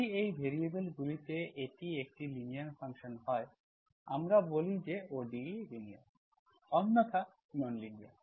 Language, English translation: Bengali, If this is a linear function in these variables, we say, we say that the ODE is linear, otherwise, otherwise non linear